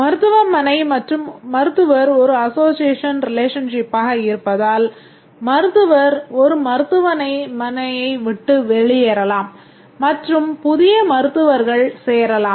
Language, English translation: Tamil, Whereas hospital and doctor is an association relationship because a doctor may leave a hospital, new doctors may join